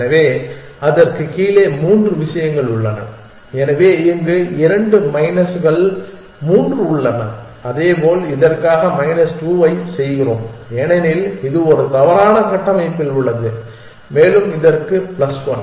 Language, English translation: Tamil, So, three things below it along, so we have two minus three for here likewise we do minus 2 for this because it is on a wrong structure and plus one for this